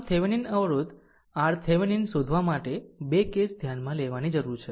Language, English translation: Gujarati, So, for finding your Thevenin resistance R Thevenin, we need to consider 2 cases